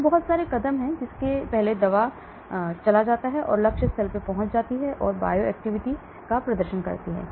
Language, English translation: Hindi, So a lot of steps before which the drug goes, reaches the target site and exhibits bio activity